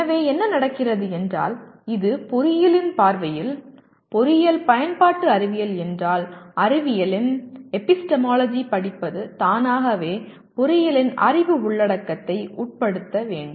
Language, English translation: Tamil, So what happens is if this is the view of engineering, if engineering is applied science then studying the epistemology of science should automatically subsume the knowledge content of engineering